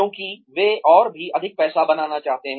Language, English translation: Hindi, Because, they want to make, even more money